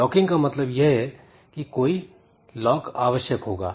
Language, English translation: Hindi, So, locking means some lock will be acquired